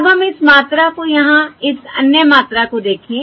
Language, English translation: Hindi, okay, Now let us look at this quantity over here, this other quantity